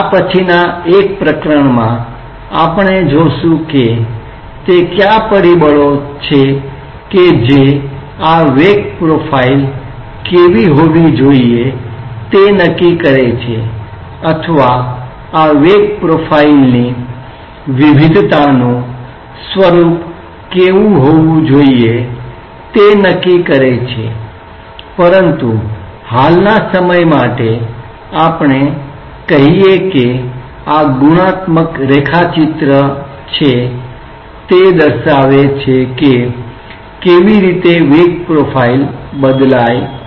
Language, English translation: Gujarati, In one of later chapters we will see that what are the factors that will determine that what should be this velocity profile or what should be the nature of variation of this velocity profile, but for the time being let us say that this is a qualitative sketch of how the velocity profile varies